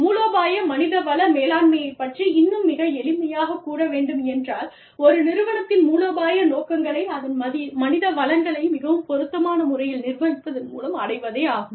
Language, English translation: Tamil, But, very simply stating, strategic human resource management deals with, the achievement of the strategic objectives of an organization, by managing its human resources, in the most appropriate manner